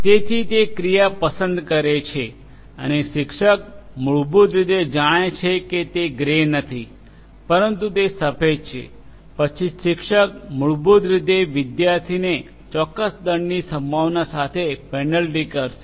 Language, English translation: Gujarati, So, it chooses an action and the teacher basically will then teacher knows that no, it is not grey, but it is white then the teacher basically will penalize the student with a certain penalty probability, right